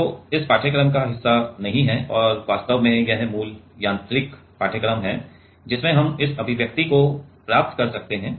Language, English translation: Hindi, Which is not part of this course and this is the basics mechanical course actually, from that we can derive this expression